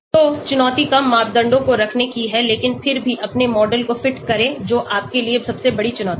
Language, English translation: Hindi, So the challenge is to keep less number of parameters but still fit your model that is the greatest challenge for you